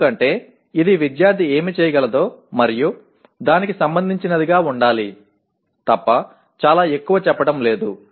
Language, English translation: Telugu, Because it is not saying very much except that it should be related to what the student should be able to do